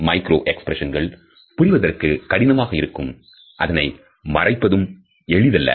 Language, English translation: Tamil, Even though it is difficult to understand micro expressions as well as to conceal them